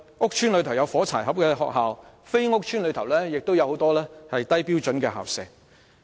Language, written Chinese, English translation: Cantonese, 屋邨內有些"火柴盒"學校，而非屋邨內亦有很多低標準校舍。, In housing states there are some matchbox schools and in places other than housing estates we can find many substandard school premises